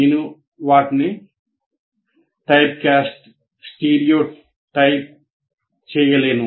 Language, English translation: Telugu, I cannot what are you called typecast them, stereotype them